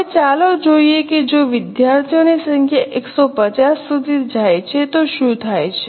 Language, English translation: Gujarati, Now let us see what happens if number of students go up to 150